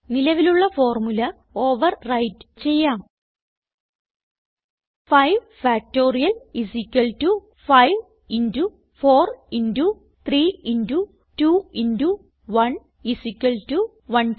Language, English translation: Malayalam, So let us overwrite the existing formula with ours: 5 Factorial = 5 into 4 into 3 into 2 into 1 = 120